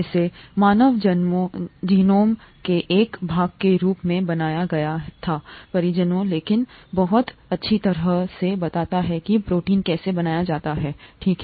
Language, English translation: Hindi, It was made as a part of the human genome project, but it very nicely explains how proteins are made, okay